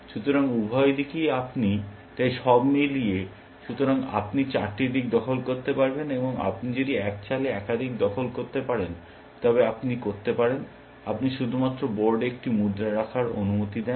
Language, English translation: Bengali, So, you can captured in four directions, and if you can make multiple captures in one move, but you can, you allow to place only one coin on the board